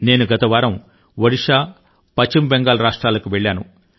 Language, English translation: Telugu, I went to take stock of the situation last week to Odisha and West Bengal